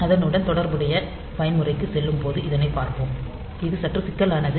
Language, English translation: Tamil, So, we will see this when we go into that corresponding mode to it is slightly complex